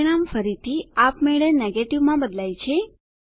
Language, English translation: Gujarati, The result again automatically changes to Negative